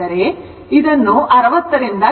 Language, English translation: Kannada, So, multiply by this 60